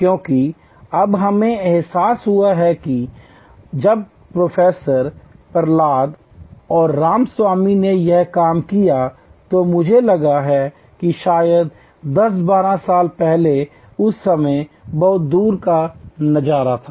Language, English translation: Hindi, Because, now we realize and when Professor Prahalad and Ramaswamy did this work I think maybe 10, 12 years back at that time there was lot of far sight in this